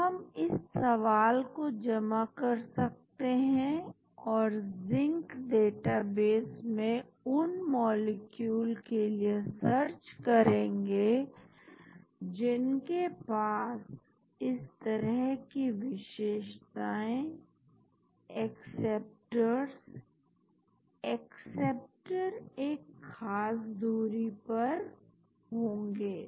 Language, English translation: Hindi, Now, we can submit this query and try to search the Zinc database for molecules which have this type of features, acceptor, acceptor at certain distance